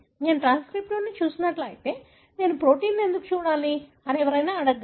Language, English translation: Telugu, It is, one can say if I have looked at transcriptome, why should I look at proteome